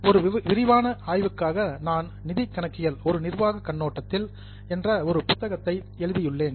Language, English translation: Tamil, For a more detailed study, I have written a book on financial accounting, a managerial perspective